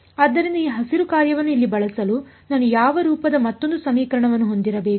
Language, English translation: Kannada, So, in order to use this Green’s function over here I should have another equation of the form what